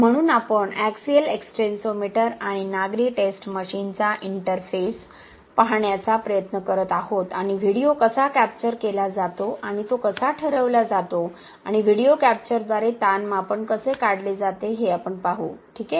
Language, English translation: Marathi, So, we are trying to see the interface of the axial extensometer and civic testing machine and we will see how the video is captured and how it is dictated and how the strain measurement is taken out by the video capture, okay